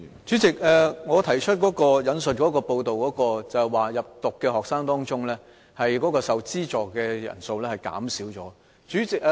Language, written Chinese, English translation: Cantonese, 主席，我引述的報道，有關在入讀的學生當中，受資助的人數減少了。, President the media report I quoted shows a drop in the number of students receiving subsidies among the total number of admissions